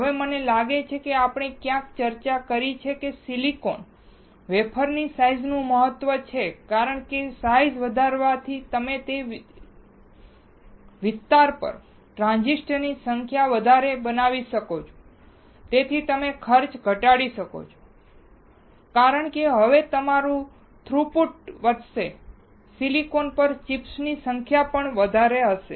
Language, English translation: Gujarati, Now, I think we have discussed somewhere that the size of the silicon wafer matters because increasing the size you can fabricate more number of transistors onto the same area and thus you can reduce the cost because now you are throughput will increase or the number of chips on the silicon will increase